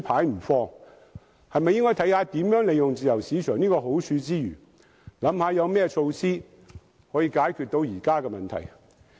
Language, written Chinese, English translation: Cantonese, 應否考慮在怎樣利用自由市場的好處之餘，有何措施解決現時的問題？, Should consideration be given to optimize the benefits brought by the free market while finding a way out of our present predicament?